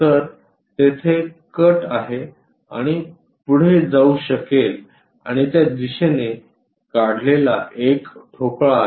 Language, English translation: Marathi, So, there might be a cut and goes and there is a block which is removed in that direction